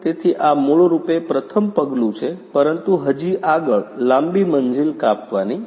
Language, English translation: Gujarati, So, this is basically the first step, but there is a long way to go